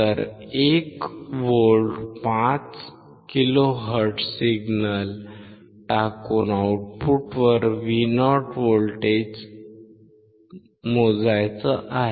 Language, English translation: Marathi, Let us see square wave 1 volt 5 kilo hertz and at the output we had to measure the voltage Vo